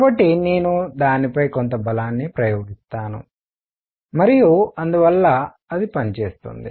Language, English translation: Telugu, So, I will be applying some force on it and therefore, it does work